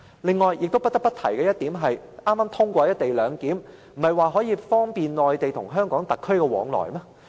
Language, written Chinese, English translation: Cantonese, 此外，不得不提的是，剛通過的"一地兩檢"，不是說可以方便內地與香港特區往來嗎？, Moreover another point I must say is that the co - location arrangement which has just been passed is supposed to facilitate people commuting between the Mainland and the Hong Kong SAR